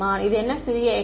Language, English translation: Tamil, What is this small x